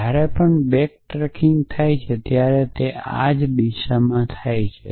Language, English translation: Gujarati, So, whenever back tracking happens it happens in these same directions